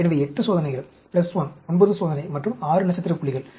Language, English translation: Tamil, So, 8 experiments plus 1, 9 experiment, and 6 star points